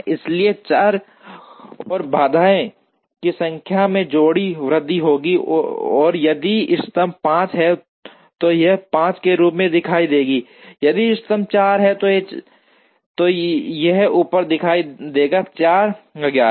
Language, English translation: Hindi, So, the number of variables and number of constraints will increase slightly and then if the optimum is 5 it will show up as 5, if the optimum is 4 it will show up at 4 and so on